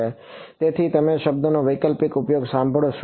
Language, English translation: Gujarati, So, you will hear this word being use alternative